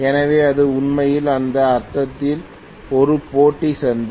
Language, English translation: Tamil, So it is really a competitive market in that sense